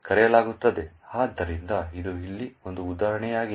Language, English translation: Kannada, So, this is an example over here